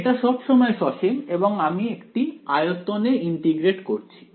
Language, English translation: Bengali, Is always finite and I am integrating over a volume